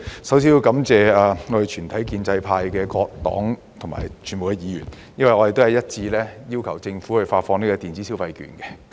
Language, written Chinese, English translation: Cantonese, 首先要感謝建制派的各個黨派和全體議員，因為我們一致要求政府發放電子消費券。, I would first like to thank various political parties and all Members of the pro - establishment camp because we unanimously requested the Government to disburse electronic consumption vouchers